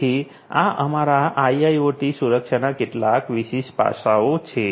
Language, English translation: Gujarati, So, these are some of these distinguishing aspects of security in our IIoT